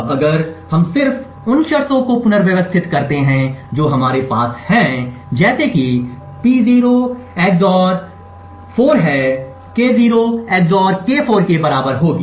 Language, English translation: Hindi, Now if we just rearrange the terms we have like P0 XOR would be 4 to be equal to K0 XOR K4